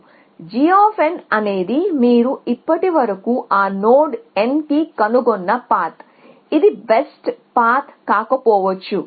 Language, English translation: Telugu, So, g of n is a path that you have found to that node n so far, it may be not the best path